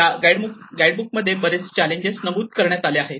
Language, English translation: Marathi, And this guide have noted a number of challenges